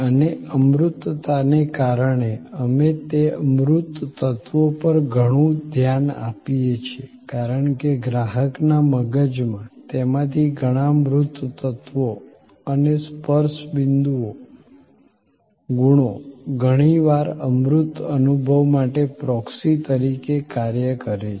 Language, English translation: Gujarati, And because of the intangibility, we pay a lot of a attention to those tangible elements, because in the consumer’s mind, many of those tangible elements and the touch point qualities often act as a proxy for the intangible experience